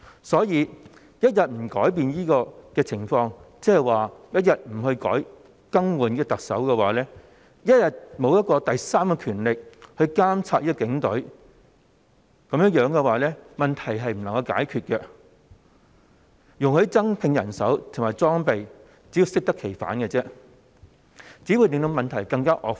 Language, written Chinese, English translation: Cantonese, 所以，若不改變這情況，一天不更換特首、沒有第三權力監察警隊，問題便不會獲得解決，如果容許警隊增聘人手及增加裝備，更只會適得其反，令問題更加惡化。, So if this situation remains unchanged―that the Chief Executive is not replaced and the Police Force remains unchecked by a third power―the problems will not be solved . If the Police Force is allowed to increase its manpower and equipment this will only be counterproductive and further worsen the problems